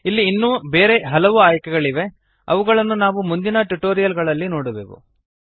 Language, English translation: Kannada, There are few other options here, which we will cover in the later tutorials